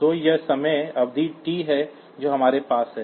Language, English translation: Hindi, So, this is the time period t that we have